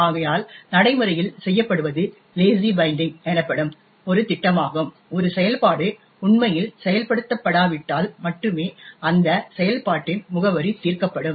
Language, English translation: Tamil, Therefore, what is done in practice is a scheme call Lazy Binding unless a function is actually used only then will the address of that function will be resolved